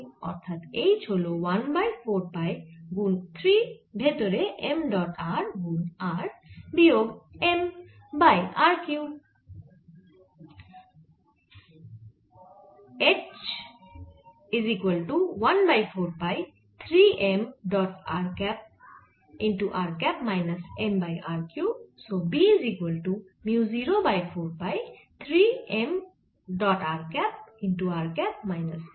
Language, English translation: Bengali, so one by four pi three m dot r r minus m by r cube